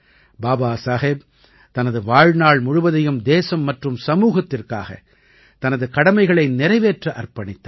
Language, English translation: Tamil, Baba Saheb had devoted his entire life in rendering his duties for the country and society